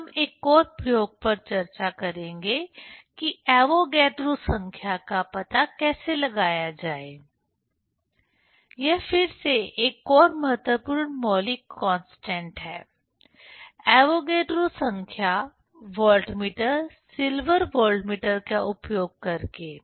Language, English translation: Hindi, Then we will discuss another experiment how to find out the Avogadro number; this is again another important fundamental constant, Avogadro number using voltameter, silver voltameter